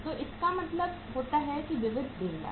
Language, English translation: Hindi, So it means sundry creditors